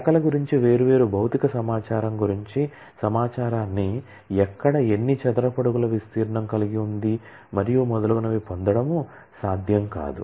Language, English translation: Telugu, It should not be possible for possible to access information about different physical information about the branches as to where, how many square feet of area that branch has and so on and so forth